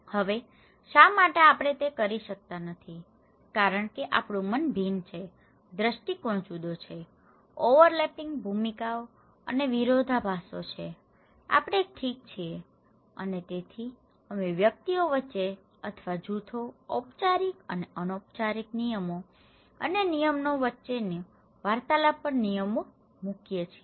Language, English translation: Gujarati, Now, why we cannot do it because we have different mind, different perspective, overlapping roles and conflicts we have, we possess okay and so, we put rules and regulations upon interactions between individuals or between groups, formal and informal rules and regulations